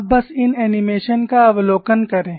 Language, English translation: Hindi, So, I will repeat the animation